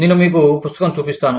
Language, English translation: Telugu, I will show you the book